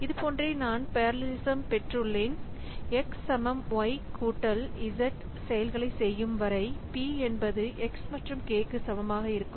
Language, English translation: Tamil, But as long as it is doing operations like, say, x equal to y plus z, then p equal to x into k